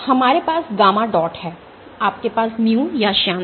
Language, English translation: Hindi, So for, We have gamma dot you have mu or the viscosity